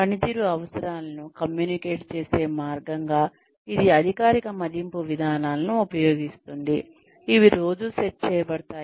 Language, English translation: Telugu, It uses, formal appraisal procedures, as a way of communicating performance requirements, that are set on a regular basis